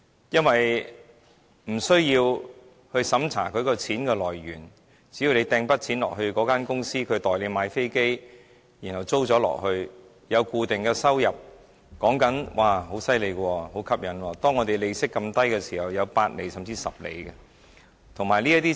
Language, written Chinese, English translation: Cantonese, 因為無須審查金錢來源，只要投資一筆錢到公司，由它代買飛機出租，便可以賺取固定收入，而且在利息這麼低的時候，還可以有8厘，甚至10厘回報，相當厲害、相當吸引。, No due diligence will be conducted on the source of funds . You can earn an fixed income with a return of 8 % or as high as 10 % in the current low interest rate environment simply by investing a lump sum of money in the leasing companies which will use your money to buy an aircraft and rent it out . Is it awesome and attractive?